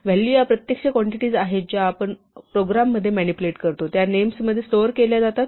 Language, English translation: Marathi, Values are the actual quantities that we manipulate in our program, these are stored in names